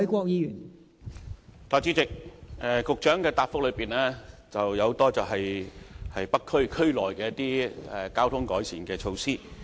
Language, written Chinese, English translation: Cantonese, 代理主席，局長在主體答覆提及很多在北區區內進行的交通改善措施。, Deputy President the Secretary has mentioned in the main reply many traffic improvement measures to be taken in the North District